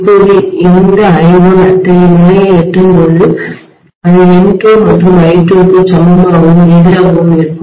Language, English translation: Tamil, Now this I1 will reach to such a level exactly that it would be equal and opposite to that of N2 and I2